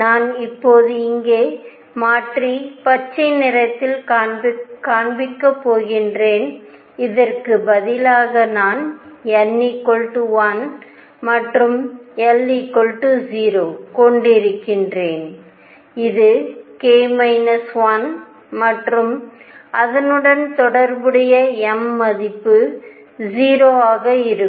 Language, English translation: Tamil, So, that I am now going to change right here and show it in green instead of this I am going to have n equals 1 and l equals 0, which is k minus 1 and corresponding m value would be 0